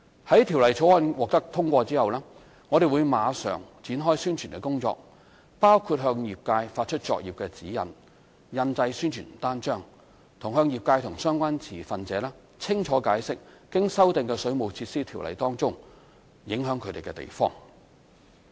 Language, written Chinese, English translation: Cantonese, 在《條例草案》獲得通過後，我們會馬上展開宣傳工作，包括向業界發出作業指引、印製宣傳單張，以及向業界和相關持份者清楚解釋經修訂的《條例》中影響他們的地方。, Upon passage of the Bill we will immediately commence publicity work which include issuing practice guidelines to the trade printing leaflets and explaining clearly to the trade and relevant stakeholders the impacts of the amended Ordinance on them